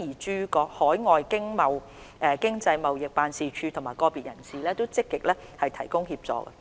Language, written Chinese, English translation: Cantonese, 駐海外的經濟貿易辦事處和個別人士也積極提供協助。, The Overseas Economic and Trade Offices and individuals have also rendered proactive support